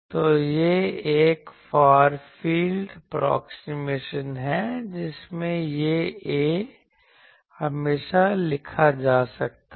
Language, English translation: Hindi, So, this is a far field approximation that in the far field, this A can always be written as